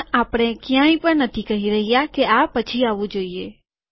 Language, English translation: Gujarati, But no where are we saying that this should come later